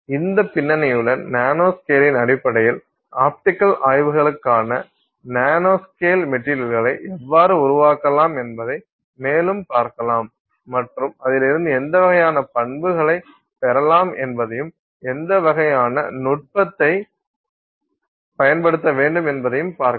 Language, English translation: Tamil, So, with this background we will look at more the nanoscale in terms of how you can create nanoscale materials for optical studies and what kind of properties you might get from them, what how, what kind of technique you would need to use to you know probe those properties and examine the result that you get